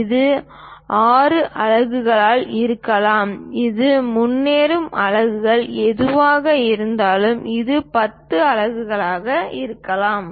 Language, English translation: Tamil, It can be 6 units, it can be 10 units whatever the units we go ahead